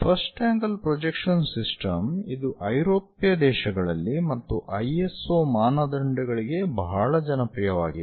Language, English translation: Kannada, The first angle projection system is very popular in European countries and also for ISO standards